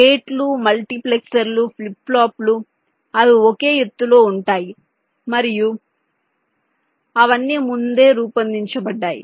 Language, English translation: Telugu, the gates, the multiplexers, the flip plops, they are of same heights and they are all pre designed